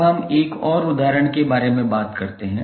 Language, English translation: Hindi, Now, let us talk about another example